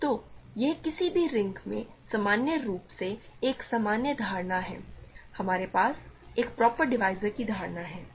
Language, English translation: Hindi, So, this is a general notion in general in any ring, we have the notion of a proper divisor